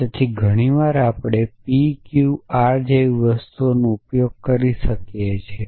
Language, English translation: Gujarati, So very often we use things like P Q R and so on